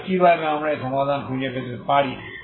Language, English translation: Bengali, So how do we find this solution